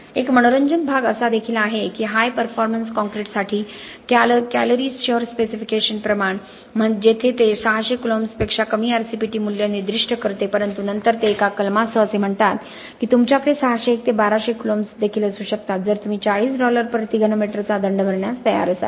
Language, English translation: Marathi, An interesting part is this Calgary city specification for high performance concrete where it specifies an RCPT value of less than 600 columns but then it says with a clause that you can also have 601 to 1200 coulombs provided you are willing to pay a penalty of 40 Dollars per cubic meter